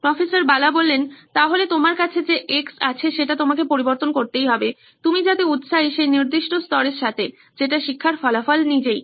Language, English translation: Bengali, So you will have to replace the X that you have, with the particular level that you are interested in, which is the learning outcomes itself